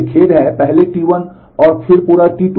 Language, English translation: Hindi, I am sorry, first T 1 and then whole of T 2